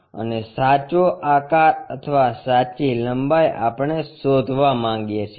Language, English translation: Gujarati, And the true shape or true length we would like to find